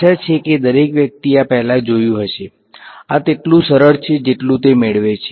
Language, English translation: Gujarati, Hopefully everyone has seen this before, this is as simple as it gets